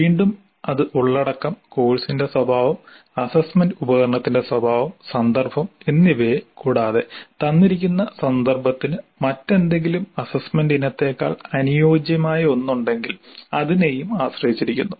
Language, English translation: Malayalam, Again it depends upon the content, the nature of the course, the nature of the assessment instrument and the context and where something is more suitable than some other kind of assessment item